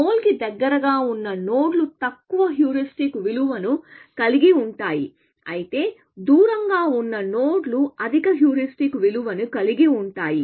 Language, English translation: Telugu, Nodes which are closer to the goal will have lower heuristic value, whereas, nodes which are away will higher heuristic value, essentially